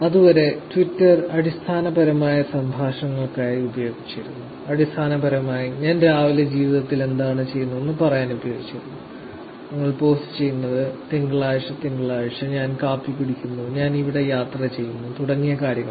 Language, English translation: Malayalam, Until then Twitter was basically used for conversations, basically used for saying what I am doing in life in the morning, that we are posting, ‘Morning Monday’, ‘I am having coffee’, ‘I am traveling here’ and things like that